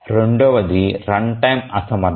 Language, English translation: Telugu, Run time inefficiency